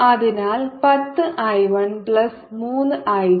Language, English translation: Malayalam, so ten i one plus three i two